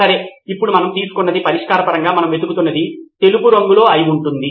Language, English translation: Telugu, Okay now we know that something that we are looking for in terms of a solution is white in color